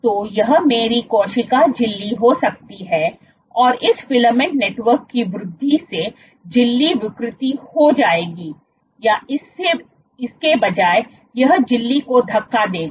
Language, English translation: Hindi, So, this can be my cell membrane and this growth of this filament network will lead to membrane deformation or rather it will push the membrane